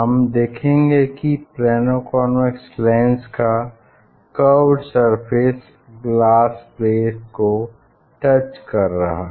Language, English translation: Hindi, You will see that the Plano convex lens, this curved surface it will touch the plate